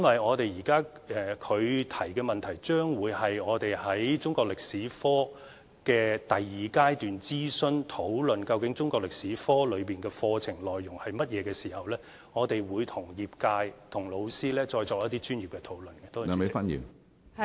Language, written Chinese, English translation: Cantonese, 他的跟進質詢是涉及當局將展開的中國歷史科第二階段諮詢，屆時我們會與業界、老師就中國歷史科應包括甚麼課程內容，再作一些專業的討論。, His follow - up question is related to the second stage of consultation on the revised curriculum of the subject of Chinese History . When the time comes we will conduct further professional discussions with the sector and teachers on the contents of the subject of Chinese History